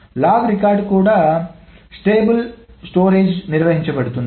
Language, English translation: Telugu, The log is also maintained on the stable storage